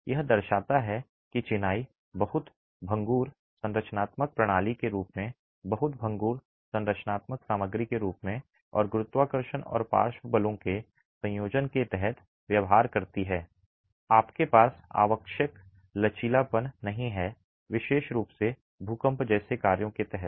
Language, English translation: Hindi, This demonstrates that masonry behaves as a very brittle structural system as a very brittle structural material and under the combination of gravity and lateral forces you do not have the necessary ductility particularly under actions like earthquakes